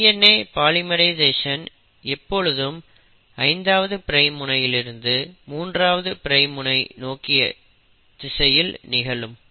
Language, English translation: Tamil, The DNA polymerisation always happens in the direction of 5 prime to 3 prime